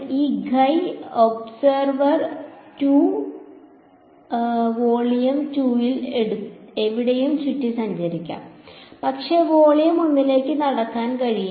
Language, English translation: Malayalam, This guy observer 2 can walk around anywhere in volume 2, but cannot walk into volume 1